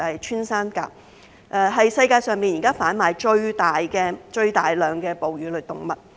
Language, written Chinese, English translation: Cantonese, 穿山甲是世界上現時販賣最大量的哺乳類動物。, Pangolins are currently the most trafficked mammal in the world